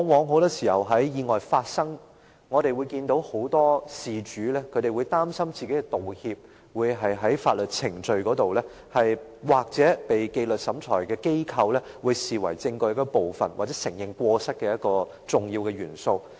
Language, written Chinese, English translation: Cantonese, 很多時候，在意外發生後，我們往往看到很多事主會擔心，若作出道歉，該舉會在法律程序或在紀律審裁機構眼中，視為證據一部分或承認過失的一個重要元素。, Every now and then we see many people involved in incidents worry if the apologies they may make will be taken as part of the evidence or an important element in the admission of fault in legal proceedings or by disciplinary tribunals